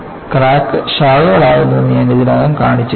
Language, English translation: Malayalam, And, I already shown that, crack can branch